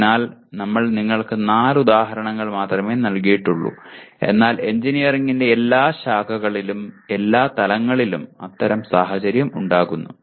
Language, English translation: Malayalam, So we have given you only four examples but that kind of situation arise in every branch of engineering at all levels